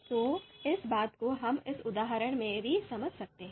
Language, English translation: Hindi, So the same thing we can understand in this example as well